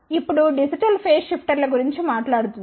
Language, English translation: Telugu, Now, let us talk about digital phase shifter